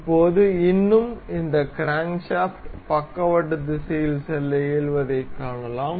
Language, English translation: Tamil, Now, still we can see this crankshaft to move in the lateral direction